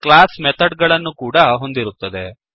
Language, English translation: Kannada, Now, a class also contains methods